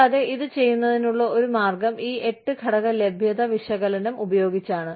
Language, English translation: Malayalam, And, one way of doing it is, by using this, 8 factor availability analysis